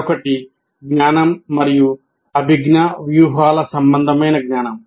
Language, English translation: Telugu, And the other one is knowledge about cognition and cognitive strategies